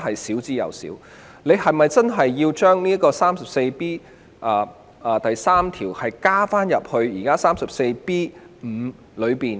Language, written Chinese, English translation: Cantonese, 當局是否真的要將第 34B3 條的情況納入現有第 34B5 條呢？, So is it really necessary for the existing section 34B5 to cover section 34B3?